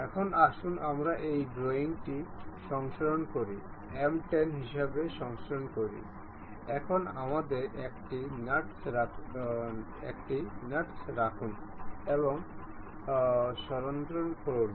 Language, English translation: Bengali, Now, let us save this drawing, save as M 10, now let us have nut and save